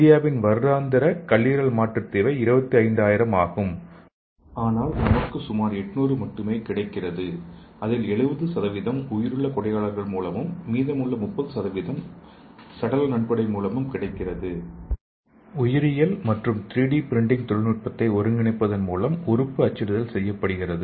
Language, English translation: Tamil, So India’s annual liver transplant requirement is 25000 but we manage only about 800 and 70% of liver transplants ate taken care of by a live donor and remaining 30% are dependent on cadaver donation, cadaver means dead body